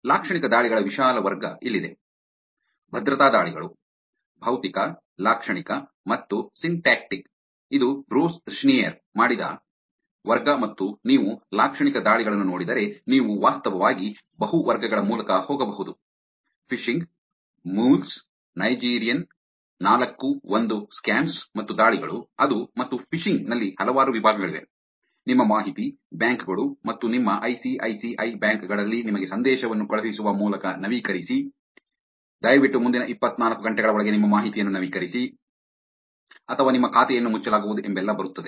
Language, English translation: Kannada, Here is the broad category of semantic attacks: Security attacks physical, semantic and syntactic which is what Bruce Schneier did and if you look at Semantic attacks, you can actually go through multipe categories Phishing, Mules, Nigerian, 4 1 scams and attacks like that, and in phishing also there are multiple categories – update your information, banks and in your ICICI banks sending you a message saying that, please update your information within next 24 hours or your account would be closed